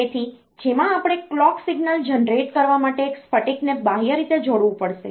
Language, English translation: Gujarati, So, in which we have to connect a crystal externally to generate the clock signal